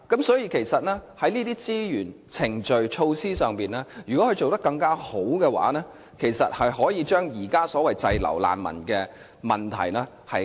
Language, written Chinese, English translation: Cantonese, 所以，如果資源、程序及措施上可以做得更好的話，其實便可以加快改善現時所謂的難民滯港問題。, Hence if the authorities can enhance the resources procedure and measures it can alleviate the present problem of bogus refugees being stranded in Hong Kong